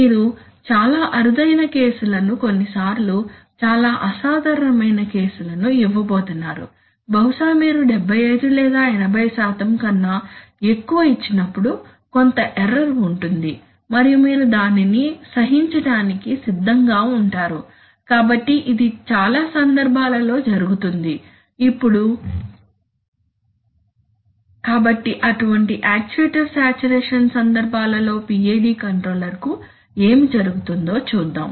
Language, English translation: Telugu, You are going to give very rare cases sometimes very exceptional cases maybe you will give more than 75 or 80% and that time there will be some error and you are willing to tolerate it, so this happens in many cases, now, so we want to see what happens to the PID controller in such cases of actuator saturation